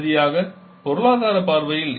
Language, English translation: Tamil, And finally the economical point of view